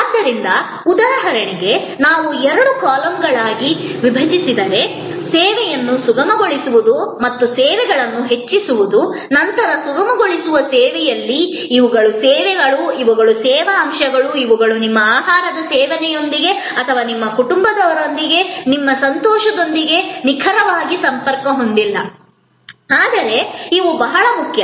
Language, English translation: Kannada, So, let say for example, facilitating service and enhancing services if we divide in two columns, then on the facilitating service, these are services, these are service elements, which are not exactly connected to your consumption of food or your enjoyment with your family, but these are very important